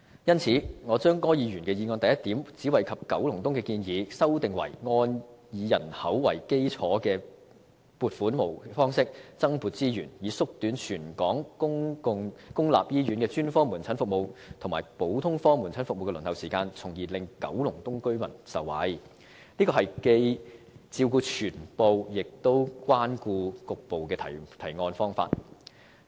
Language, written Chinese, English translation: Cantonese, 因此，我把柯議員的議案第一點只惠及九龍東的建議修訂為"按以人口為基礎的撥款模式增撥資源，以縮短全港公立醫院的專科門診服務及普通科門診服務的輪候時間，從而令九龍東居民受惠"，這是既照顧全部亦關顧局部的提案方法。, Hence I have amended the proposal only benefiting Kowloon East in item 1 of Mr ORs motion as in accordance with a population - based funding model allocating additional resources to shorten the waiting time for specialist outpatient services and general outpatient services of public hospitals in Hong Kong with a view to benefiting residents of Kowloon East . A motion proposed in this way caters for the situation as a whole and also partially